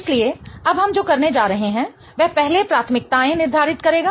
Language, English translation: Hindi, So, what we are going to do now is first assign priorities